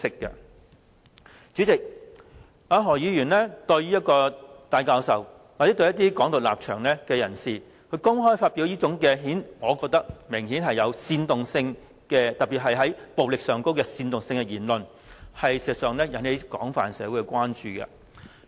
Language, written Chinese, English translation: Cantonese, 代理主席，何議員公開對戴教授或持"港獨"立場的人士發表這種我認為明顯具煽動性，特別是煽動暴力的言論，事實上會引起社會廣泛的關注。, His such remarks are crystal clear indeed . Deputy President the remarks made in public by Dr HO that in my opinion obviously meant to incite violence in particular against Prof TAI or supporters of Hong Kong independence have actually aroused wide public concerns in society